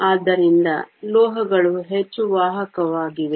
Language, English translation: Kannada, So, metals are so much more conductive